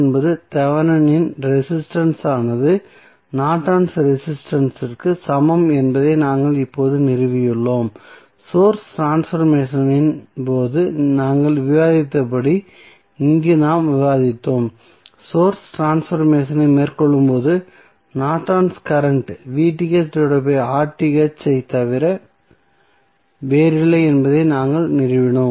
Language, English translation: Tamil, We have just stabilized that R Th that is Thevenin resistance is nothing but equal to Norton's resistance and as we discussed in case of source transformation this is what we discussed here we stabilized that when we carry out the source transformation the Norton's current is nothing but V Thevenin divided by R Thevenin